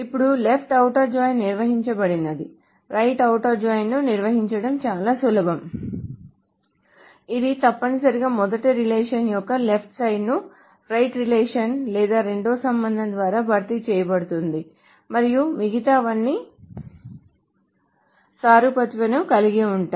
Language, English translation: Telugu, So now that the left outer join has been defined, it is probably easier to define the right outer joint which is essentially the same thing except the left here is replaced the left of the first relation is replaced by the right relation or the second relation and everything else is analogous